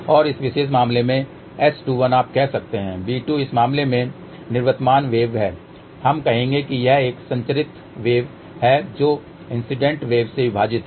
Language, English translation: Hindi, And in this particular case S 21 is you can say b 2 is the outgoing wave in this case we would say it is a transmitted wave divided by incident wave